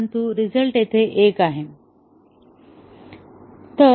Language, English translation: Marathi, But, then the result is 1 here